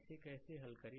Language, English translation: Hindi, Right, how to solve it